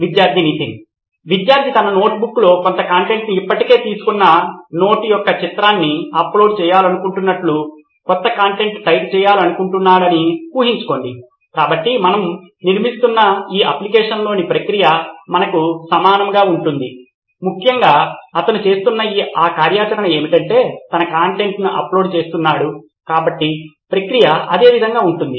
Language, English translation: Telugu, Imagine the student wants to type some content, new content versus he would want to upload a image of note that he has already taken in his notebook, so the process in this application that we are building be the same to our, essentially he is doing the same activity which is uploading his content, so would the process be the same